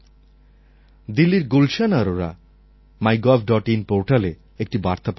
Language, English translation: Bengali, Gulshan Arora from Delhi has left a message on MyGov